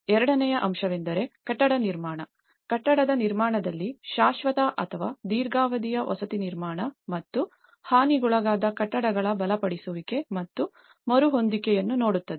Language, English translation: Kannada, The second aspect is the building construction; in the building construction which looks at the permanent or the long term housing reconstruction and the strengthening and retrofitting of the damaged buildings